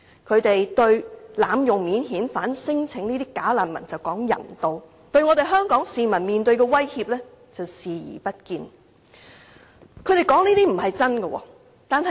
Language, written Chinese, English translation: Cantonese, 他們對這些濫用免遣返聲請的"假難民"大談人道，但對香港市民面對的威脅卻視而不見。, They talk righteously about the need for humane treatment to bogus refugees who abuse the unified screening mechanism but they ignore the threats Hong Kong people are facing